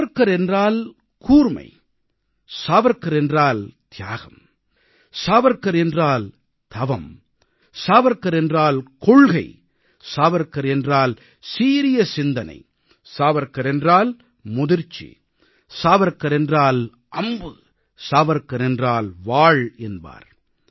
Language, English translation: Tamil, Atal ji had said Savarkar means brilliance, Savarkar means sacrifice, Savarkar means penance, Savarkar means substance, Savarkar means logic, Savarkar means youth, Savarkar means an arrow, and Savarkar means a Sword